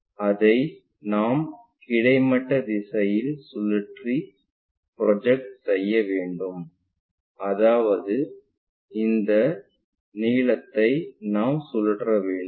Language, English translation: Tamil, What we want to do is project that one rotate it by horizontal direction; that means, this length we want to really rotate it